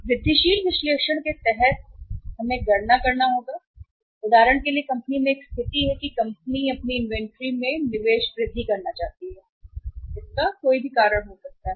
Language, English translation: Hindi, Under the incremental analysis what we uh do that we will have to calculate that for example there is a situation in a company that uh company want to increase its investment in the inventory because of any reason, there could be any reason